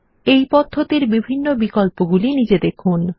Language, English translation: Bengali, Notice the various options here